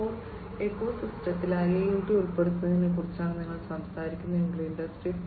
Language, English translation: Malayalam, 0 if you are talking about incorporation of IIoT in the Industry 4